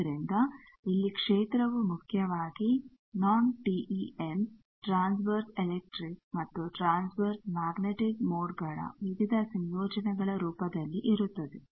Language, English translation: Kannada, So, field here is non TEM mainly in the form of various combinations of transverse electric and transverse magnetic modes